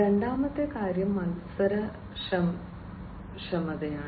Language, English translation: Malayalam, Second thing is competitiveness